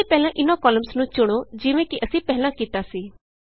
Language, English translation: Punjabi, So first select these columns as we did earlier